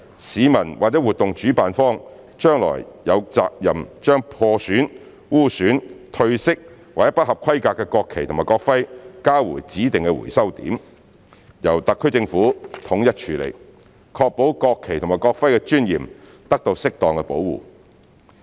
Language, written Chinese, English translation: Cantonese, 市民或活動主辦方將來有責任將破損、污損、褪色或不合規格的國旗及國徽交回指定回收點，由特區政府統一處理，確保國旗及國徽的尊嚴得到適當保護。, Citizens or event organizers will be responsible for returning any damaged defiled faded or substandard national flags and national emblems to designated collection points for central handling by the SAR Government so as to ensure that the dignity of the national flag and national emblem is properly protected